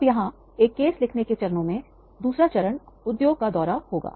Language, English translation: Hindi, Now here in steps of writing a case, second step will be to visit the industry